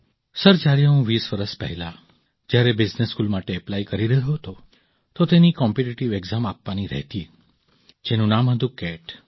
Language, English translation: Gujarati, Sir, when I was applying for business school twenty years ago, it used to have a competitive exam called CAT